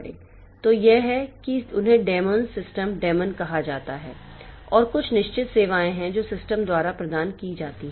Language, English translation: Hindi, So, that is they are called demon, system demons and there are certain services that are provided by the system